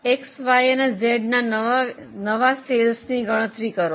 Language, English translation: Gujarati, Compute the new sales of X and Z and Y